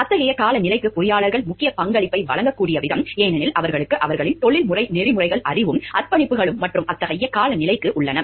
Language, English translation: Tamil, The way that engineers can making a vital contribution over here to such an, such a climate, because they have their professional ethics knowledge also, the commitments also and to such a climate